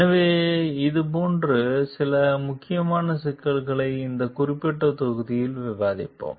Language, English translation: Tamil, So, we will discuss some critical issues like this in this particular module